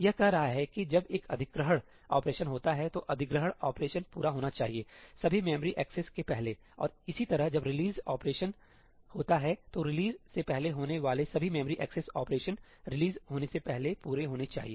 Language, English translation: Hindi, It is saying that when an ëacquireí operation happens, then the ëacquireí operation must complete before all following memory accesses; and similarly, when a ëreleaseí operation happens, then all memory access operations that are before the ëreleaseí must complete before the ëreleaseí happens